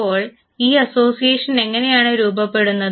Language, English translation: Malayalam, Now, how does this association form